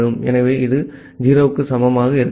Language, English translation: Tamil, So, it will be not equal to 0